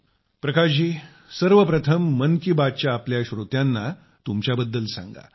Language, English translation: Marathi, Prakash ji, first of all tell about yourself to all of our listeners of 'Mann Ki Baat'